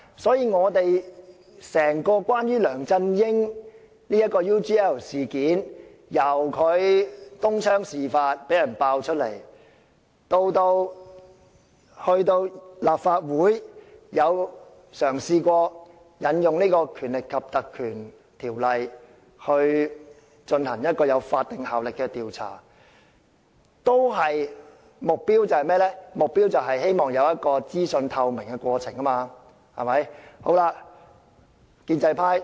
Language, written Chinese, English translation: Cantonese, 所以，關於梁振英的 UGL 事件，由東窗事發到立法會嘗試引用《立法會條例》進行有法定效力的調查，目標只是希望當中有資訊透明的過程。, So regarding LEUNG Chun - yings UGL incident the aim of what we have done so far since the incident come to light including our attempts to conduct a statutory investigation by invoking the Legislative Council Ordinance is to enhance the transparency of the entire process